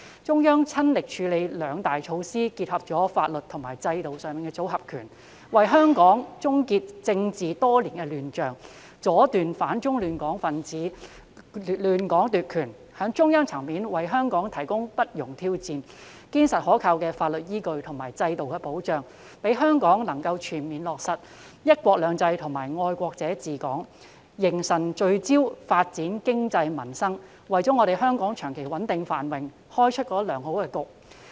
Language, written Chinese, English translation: Cantonese, 中央親力處理兩大措施，以結合法律及制度的"組合拳"，為香港終結多年來的政治亂象，阻斷反中亂港分子亂港奪權，從中央層面為香港提供不容挑戰、堅實可靠的法律依據及制度保障，讓香港能夠全面落實"一國兩制"及"愛國者治港"，凝神聚焦發展經濟民生，為香港長期穩定繁榮作出良好的開局。, With the Central Authorities taking the initiative to throw combination punches by introducing two major legal and institutional measures Hong Kongs years - long political chaos came to an end and the attempts made by anti - China disruptors to seize power were smashed . The provision of robust legal basis and institutional safeguard at the Central Government level that cannot be challenged has enabled Hong Kong to fully implement the principles of patriots administering Hong Kong and one country two systems such that it can focus on the development of the economy and peoples livelihood thereby making a good start for Hong Kongs long - term stability and prosperity